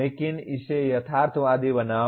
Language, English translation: Hindi, But make it realistic